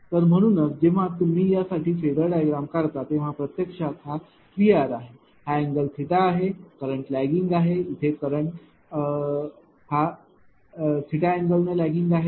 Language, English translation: Marathi, So, that is why; when you draw the phasor diagram for this one this is actually your ah V R; this angle is theta the current is lagging here current is lagging theta